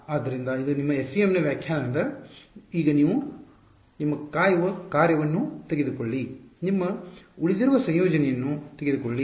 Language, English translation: Kannada, So, this is your this is just the definition of FEM take your waiting function, take your residual integrate